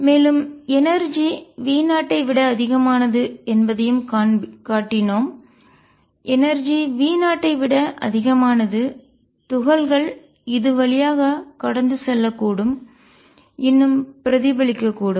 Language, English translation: Tamil, And we also showed that for energy is greater than V 0 energy is greater than V 0 particles can go through and also still reflect